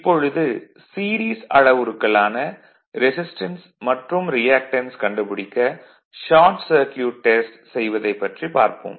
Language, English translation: Tamil, Now, Short Circuit Test to obtain the series parameter that is your resistance and reactance